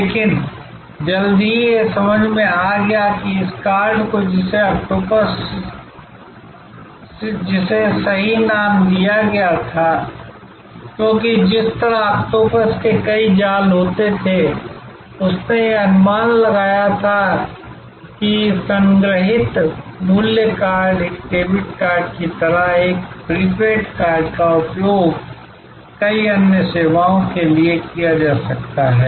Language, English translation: Hindi, But, soon it was understood that this card, which was called octopus and rightly named because just as an octopus had number of tentacles, it was conceived that this stored value card, sort of a debit card, sort of a prepaid card could be used for multiple other services